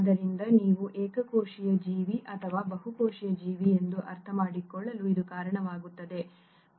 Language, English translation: Kannada, So this is what leads to what you understand as unicellular organism or a multicellular organism